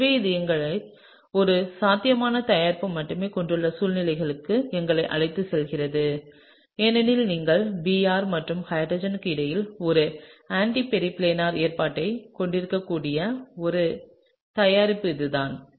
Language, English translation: Tamil, So, this brings us to the situation, where you have only one possible product because, this is the only product where you can have an anti periplanar arrangement between Br and H